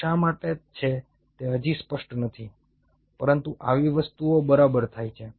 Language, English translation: Gujarati, it is still not clear why is it so, but such things does happen